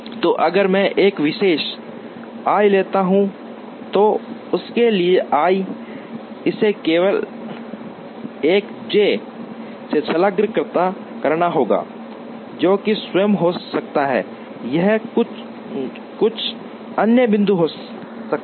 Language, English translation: Hindi, So, if I take a particular i then for that i, it has to be attached to only one j, which could be itself or it could be some other point